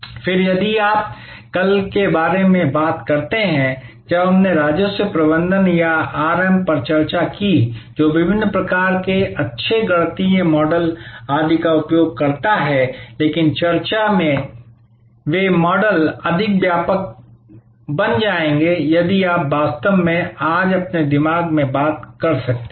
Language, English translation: Hindi, Then, if you thing about this tomorrow when we discussed Revenue Management or RM, which uses various kinds of nice mathematical models, etc, but those models of discussions will become for more comprehensible, if you can actually thing in your mind today